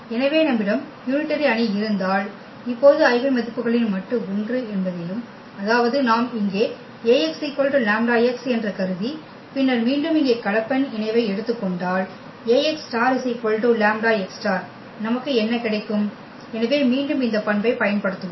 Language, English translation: Tamil, So, if we have unitary matrix then we will prove now the eigenvalues the modulus of the eigenvalues is 1; that means, if you consider here Ax is equal to lambda x and then taking the complex conjugate here again Ax star is equal to lambda x star what we will get so this again we will use this property